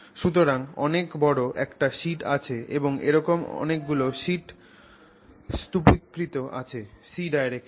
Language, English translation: Bengali, So, very large area sheet is there and then there are several such sheets stacked in the C direction